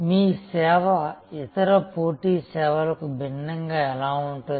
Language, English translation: Telugu, How is your service different from competitive services